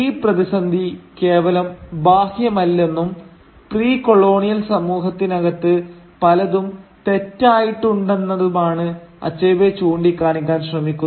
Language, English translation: Malayalam, And Achebe seems to be pointing out that the crisis was not merely external, there are many things wrong internally also within the precolonial society